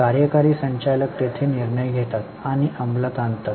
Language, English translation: Marathi, Executive directors are there in taking decisions and also executing them